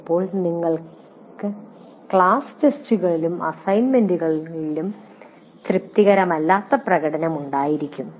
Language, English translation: Malayalam, And sometimes you have unsatisfactory performance in the class tests and assignments